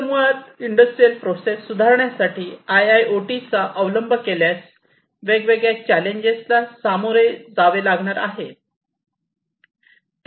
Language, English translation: Marathi, So, basically adoption of IIoT for improving industrial processes, different challenges are going to be faced